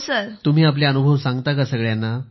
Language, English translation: Marathi, Do you share all your experiences with them